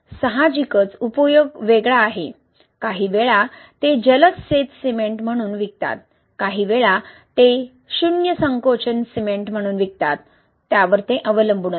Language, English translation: Marathi, Obviously the application is different, sometime they sell it as a rapid set cement, sometimes they sell it as zero shrinkage cement, that depends